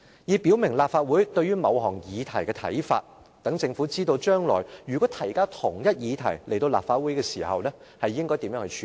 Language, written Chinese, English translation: Cantonese, "，以表明立法會對於某項議題的看法，讓政府知道將來如果提交相同議題到立法會時應如何處理。, This serves to express the opinions of the Legislative Council on a certain topic and to let the Government know what it should do when it submits the same topic to the Legislative Council in the future